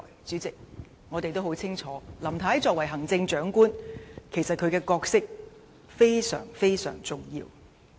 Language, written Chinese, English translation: Cantonese, 主席，我們都很清楚，林太作為行政長官，角色其實非常重要。, President we all know very clearly that Mrs LAMs role as the Chief Executive is actually very important